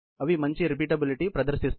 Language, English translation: Telugu, They exhibit better repeatability